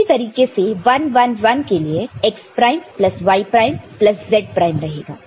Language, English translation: Hindi, And that way when it is 1 1 1, we have got x prime plus y prime plus z prime